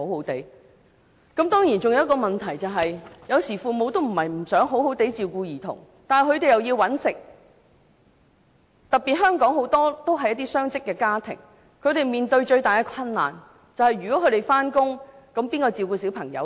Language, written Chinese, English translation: Cantonese, 當然還有一個問題，有時父母並非不想好好照顧兒童，但他們需要工作，特別是香港有很多雙職家庭，他們面對最大的困難是如果他們要上班，誰來照顧小朋友呢？, Of course there is another problem . Sometimes it is not the case that the parents do not wish to look after their children properly . But since they have to work especially as there are many dual - income families in Hong Kong the biggest difficulty faced by them is that if they have to work who will take care of their children?